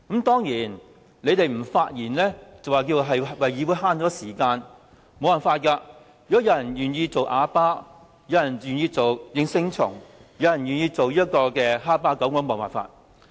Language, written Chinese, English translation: Cantonese, 當然，議員不發言便說是為了節省議會時間，但如果有人願意做啞巴、應聲蟲或哈巴狗，我也沒有辦法。, Those Members who do not speak will certain defend that they want to save Council business time . If people choose to be silent yes - men I can do nothing about them